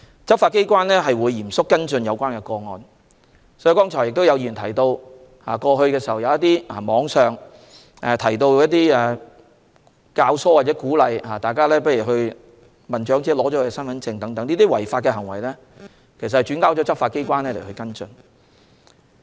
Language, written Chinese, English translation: Cantonese, 執法機關會嚴肅跟進有關個案，剛才有議員提到，過去網上有人教唆或鼓動他人收起長者的身份證，這些違法行為已轉交執法機關跟進。, The law enforcement agencies will follow up relevant cases seriously . Some Members have just remarked that some people instigate or encourage others online to confiscate the identity cards of the elderly . These illegal acts have been referred to the law enforcement agencies for follow - up actions